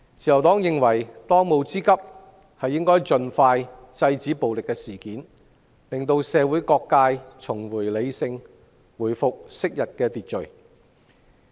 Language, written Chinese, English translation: Cantonese, 自由黨認為，當務之急是盡快制止暴力事件，讓社會各界重拾理性，回復昔日秩序。, The Liberal Party believes that the most pressing task is to stop acts of violence as soon as possible so as to allow all sectors of the community to become rational again and restore order